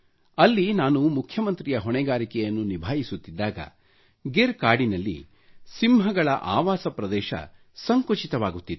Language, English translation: Kannada, I had the charge of the Chief Minister of Gujrat at a period of time when the habitat of lions in the forests of Gir was shrinking